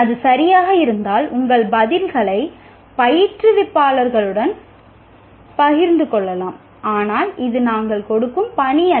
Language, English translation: Tamil, If it is okay, you can share your answers with the instructors, but this is not the assignment that we are giving